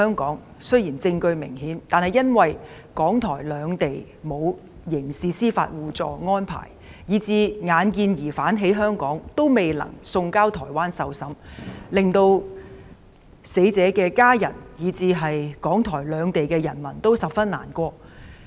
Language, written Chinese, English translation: Cantonese, 案件雖然有明顯證據，但由於港台兩地沒有刑事司法互助安排，所以即使疑兇在香港，也未能把他送交台灣受審，令死者家屬以至港台兩地人民十分難過。, There is obvious evidence in the case . However as there is no agreement for mutual legal assistance in criminal matters between Hong Kong and Taiwan even though the suspect is in Hong Kong he cannot be surrendered to Taiwan for trial . The situation has broken the hearts of the family members of the deceased and people in Hong Kong and Taiwan